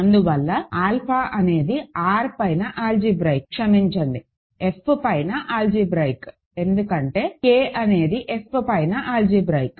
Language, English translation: Telugu, And hence alpha is algebraic over R, sorry algebraic over F, because K is algebraic over F that is the hypothesis, so alpha is algebraic over F